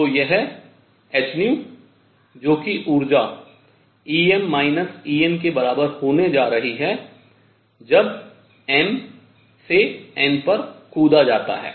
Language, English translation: Hindi, So, this h nu which is the energy is going to be equal to E m minus E n when m to n jump is made